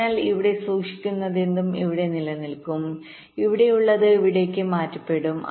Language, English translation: Malayalam, so whatever is stored here, that will remain here, and whatever is here will get transferred here